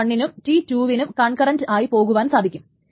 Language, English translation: Malayalam, So, T1 and T2 can be done concurrently